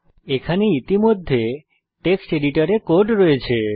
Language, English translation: Bengali, I already have a program in the Text editor